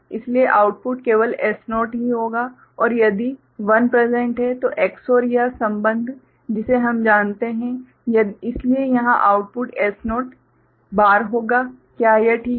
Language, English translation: Hindi, So, the output will be just S0 only right and if 1 is presented, Ex OR this relationship we know, so the output here will be S naught bar, is it fine